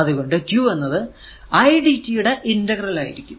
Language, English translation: Malayalam, So, i actually is equal to dq by dt